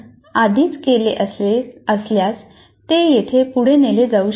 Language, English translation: Marathi, If we have already done that, those things can be carried forward here